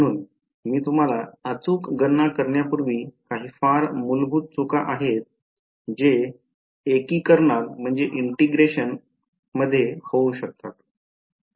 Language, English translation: Marathi, So, before I show you the exact calculation there is some very basic mistakes that can happen in integration